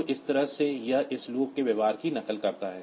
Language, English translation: Hindi, So, this way it mimics the behavior of this loop here